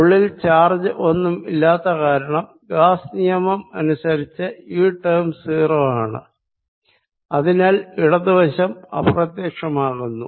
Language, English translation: Malayalam, since there is no charge inside, by gauss's law this term is zero and therefore left inside, vanishes